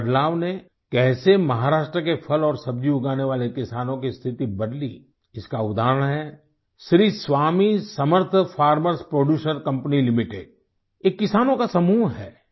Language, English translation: Hindi, An example of how this reform changed the state of farmers growing fruits and vegetables in Maharashtra is provided by Sri Swami Samarth Farm Producer Company limited a Farmer Producer's Organization